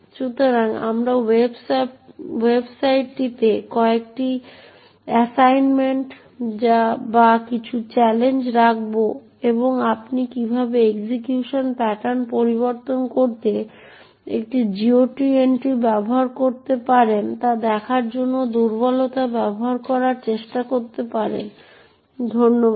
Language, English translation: Bengali, So we will putting up a few assignments or some challenges on the website and you could actually try to use the vulnerabilty to show how you could use a GOT entry to modify the execution pattern